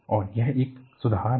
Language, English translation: Hindi, So, that is an improvement